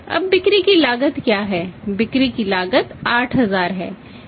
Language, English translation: Hindi, Now what is the cost of sales, cost of sales is finally it is 8000